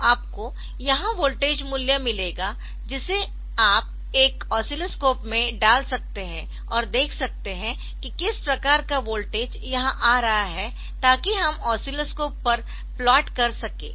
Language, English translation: Hindi, So, you will get the voltage value here and that you can put to a oscilloscope and see what type of current what type of voltage is coming here so, that we can plot on to the oscilloscope